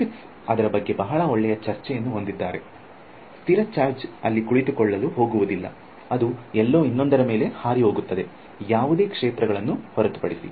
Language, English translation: Kannada, In fact, Griffiths has a very nice discussion about it a static charge is not going to sit there it will fly off somewhere over the other, unless it is in the place where there is no fields whatsoever sitting there forever